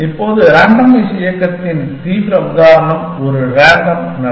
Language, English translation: Tamil, Now, the extreme example of randomized movement is a random walk